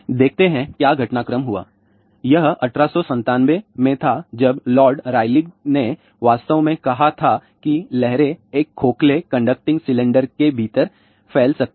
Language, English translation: Hindi, Let us see; what are the developments took place, it was in 1897 when Lord Rayleigh actually speaking showed that the waves could propagate within a hollow conducting cylinder